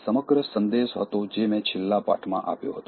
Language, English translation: Gujarati, So, that was the overall message that I gave in the last lesson